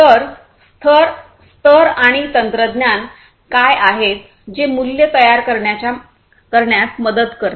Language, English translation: Marathi, So, what are the layers and technologies that will help in creating values